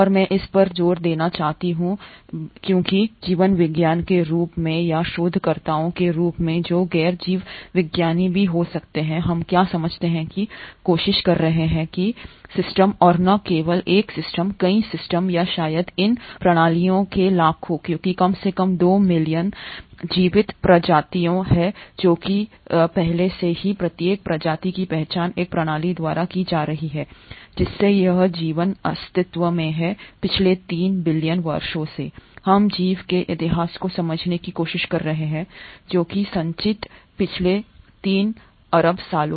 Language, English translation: Hindi, And I want to keep stressing on this point because what as biologist or as researchers who may be non biologist as well, what we are trying to understand are systems and not just one system, multiple systems or probably millions of these systems because there are at least 2 million living species which have been already identified each species being a system by itself that this life has been in existence for last 3 billion years so we are trying to understand the history of life which has accumulated in last 3 billion years